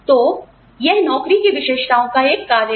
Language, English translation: Hindi, So, this is a function of the characteristics of the job